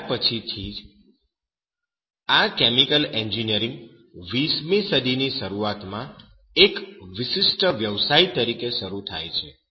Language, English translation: Gujarati, And from then onwards will see that this chemical engineering begins as a distinguished profession at the start of that 20th century